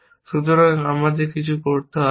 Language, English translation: Bengali, So, we do not do anything